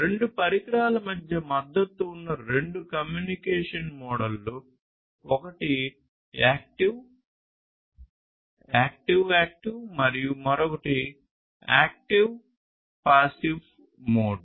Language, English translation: Telugu, And two communication modes are supported between two devices, one is the active active and the other one is the active passive mode